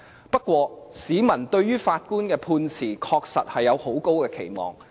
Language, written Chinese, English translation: Cantonese, 不過，市民對於法官的判詞，確實是有很高的期望。, However members of the public do have high expectation for the verdicts handed down by the judges